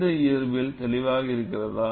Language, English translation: Tamil, Is a physics clear